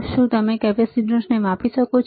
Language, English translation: Gujarati, Can you measure the capacitor